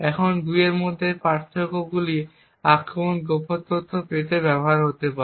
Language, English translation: Bengali, Now the differences between these 2 are then used by the attacker to gain secret information